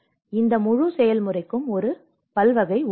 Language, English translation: Tamil, So, this whole process has a multidisciplinary